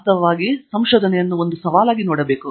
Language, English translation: Kannada, Actually, one should look at it as a challenge